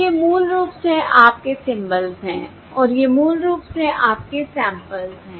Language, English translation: Hindi, So these are basically your symbols and these are basically your samples